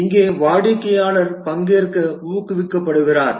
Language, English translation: Tamil, Here the customer is encouraged to participate